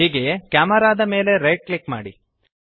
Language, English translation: Kannada, Similary, Right click the Camera